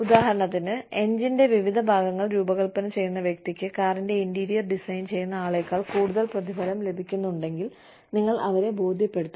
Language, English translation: Malayalam, For example, if the person, who designs different parts of the engine, gets paid more, than the person, who designs the interiors of the car